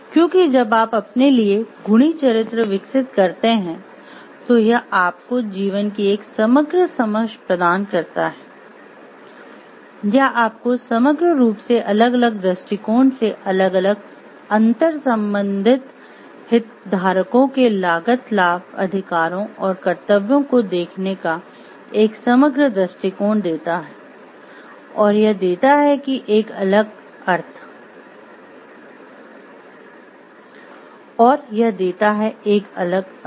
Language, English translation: Hindi, Because, while you develop virtuous characters for yourself it gives you a holistic understanding of life, it gives you a holistic perspective of looking at the cost benefits rights and duties of the different interrelated stakeholders from a different perspective in a holistic synergic way and it gives a different meaning